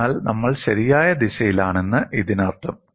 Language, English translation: Malayalam, So, that means we are in the right direction